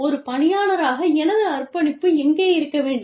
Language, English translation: Tamil, Where is my commitment more, as an employee